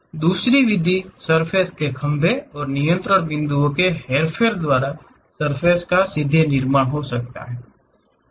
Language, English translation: Hindi, The other method is directly construction of surface by manipulation of the surface poles and control points